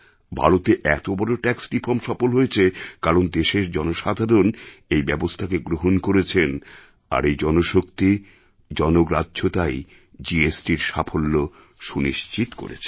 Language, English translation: Bengali, The successful implementation of such a huge tax reform in India was successful only because the people of the country adopted it and through the power of the masses, fuelled the success of the GST scheme